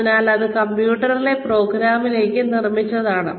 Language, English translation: Malayalam, So, that it is built, in to the program, in the computer